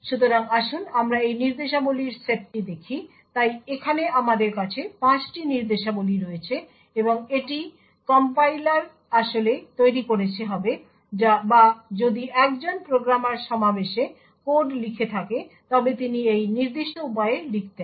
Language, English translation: Bengali, so here we have like there are 5 instructions and this is what the compiler would have actually generated or if a programmer is writing code in assembly he would have written code in this particular way